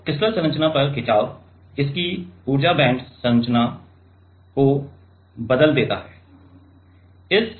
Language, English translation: Hindi, So, strain on crystal structure changes its energy band structure